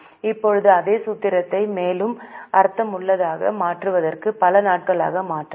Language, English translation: Tamil, Now the same formula can be also converted into number of days to make it more meaningful